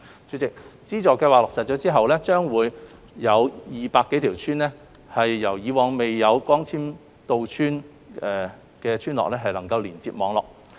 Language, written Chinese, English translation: Cantonese, 主席，資助計劃落實後，會將200多條以往未有光纖到村的村落連接網絡。, President with the implementation of the Subsidy Scheme connection to fibre - based network would be made available to over 200 villages which previously did not have such a service